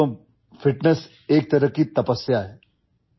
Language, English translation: Urdu, Friends, fitness is a kind of penance